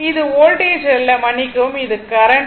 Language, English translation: Tamil, This is not voltage, this is sorry this is current, right